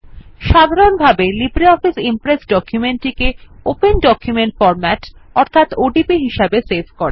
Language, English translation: Bengali, By default the LibreOffice Impress saves documents in the Open document format